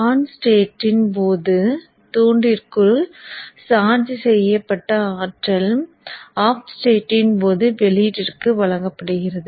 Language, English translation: Tamil, So the energy that was charged within the inductor during the on state is delivered to the output during the off state